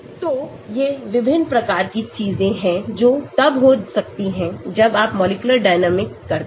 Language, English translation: Hindi, So, these are different types of things that can happen when you are doing molecular dynamics